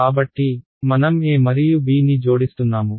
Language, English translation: Telugu, So, I am adding a and b right